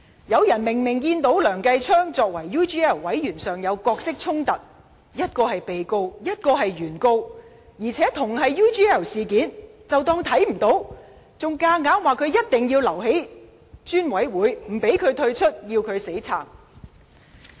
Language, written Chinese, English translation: Cantonese, 有人明明看到梁繼昌議員作為 UGL 專責委員會成員的角色衝突，一個是被告，另一個是原告，而且，同是 UGL 事件，他們卻當作看不見，還堅持梁繼昌議員應留在專責委員會，不讓他退出，要他"死撐"。, Some Members are very well aware that Mr Kenneth LEUNG has a conflict of interests for being a member of the Select Committee . He is the defendant and the other party is the plaintiff in a case which is also related to UGL . But Members of the opposition camp have turned a blind eye to this situation and even insisted that Mr Kenneth LEUNG should stay in the Select Committee